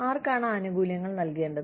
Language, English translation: Malayalam, Who to give the benefits